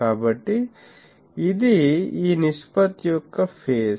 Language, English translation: Telugu, So, this is the phase of this ratio